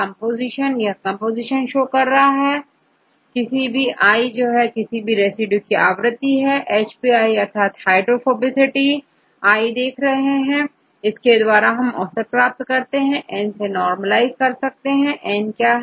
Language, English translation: Hindi, n is the occurrence of each residues, right the occurrence of each residues, hp; that means, you see hydrophobicity of residue i right, hydrophobicity, you get the average you have to normalize with N; what is N